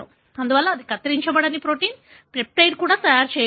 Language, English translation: Telugu, Therefore they are not, therefore even the truncated protein, peptide is not being made